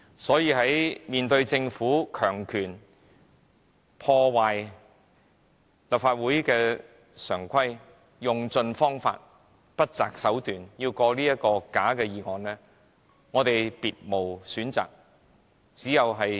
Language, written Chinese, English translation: Cantonese, 所以，面對政府硬以強權破壞立法會常規，用盡方法，不擇手段要通過這項假議案，我們別無選擇，只得尋求立刻中止有關議案。, Hence in the face of the Governments forcible and authoritarian attempt to ruin the convention of the Legislative Council and push through this phoney motion by hook or by crook we have no alternative but to seek the adjournment of the motion debate